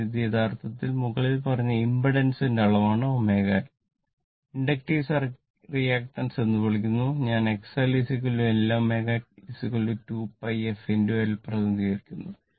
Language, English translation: Malayalam, So, this is actually your what you call the magnitude of the above impedance is omega L is called inductive reactance I represented by X L is equal to L omega is equal to 2 pi f into L